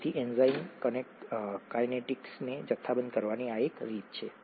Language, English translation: Gujarati, So this is one way of quantifying enzyme kinetics